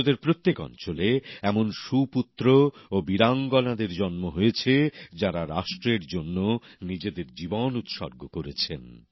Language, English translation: Bengali, In every corner of this land, Bharatbhoomi, great sons and brave daughters were born who gave up their lives for the nation